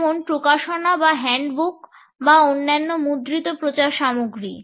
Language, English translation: Bengali, For example, the publications or handbooks or other printed publicity material